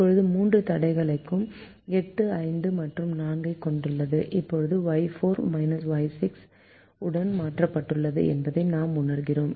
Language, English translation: Tamil, now all the three constraints have eight, five and four, and now we realize that y four has been replaced with minus y six